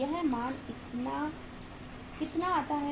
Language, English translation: Hindi, This works out as how much